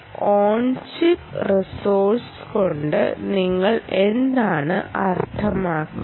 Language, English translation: Malayalam, so what do you mean by an on chip resource